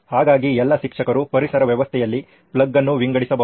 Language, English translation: Kannada, So all the teachers can also sort of plug into the ecosystem